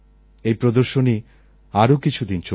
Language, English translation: Bengali, This exhibition will last a few days